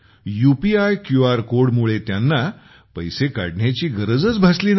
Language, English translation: Marathi, Because of the UPI QR code, they did not have to withdraw cash